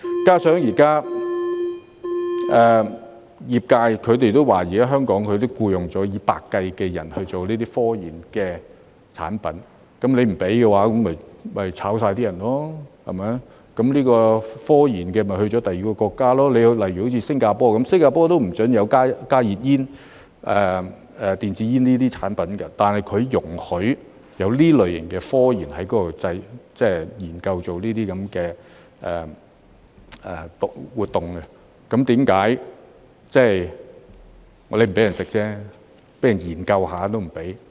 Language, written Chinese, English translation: Cantonese, 加上業界也表示，現時已在香港僱用數以百計的人，進行產品科研，如果政府不准許，便要把所有人辭退，要科研便前往第二個國家，例如新加坡，新加坡也不准賣加熱煙、電子煙等產品，但容許這類型科研活動在那裏進行，即使不准人吸食，為何連研究也不可以？, In addition the industry has also said that hundreds of people are now employed in Hong Kong to conduct scientific research on products and if the Government does not allow it all of them will have to be dismissed . If they want to conduct scientific research they will go to another country such as Singapore where such research activities are allowed although the sale of heated tobacco products and electronic cigarettes is also banned . Even if people are not allowed to smoke why can they not conduct any research?